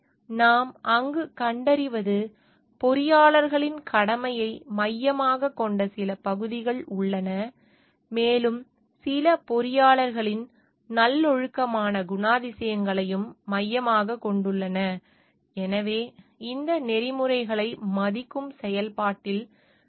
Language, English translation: Tamil, So, what we find over there, there are certain parts, which are focusing of the duty of the engineers, and some it focuses on the virtuous characters of the engineers also, so, that in the process of respecting this code of ethics